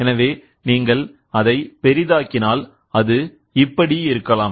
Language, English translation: Tamil, So, if you zoom into it, so, then it can be like this